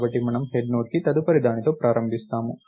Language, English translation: Telugu, So, we start with head node's next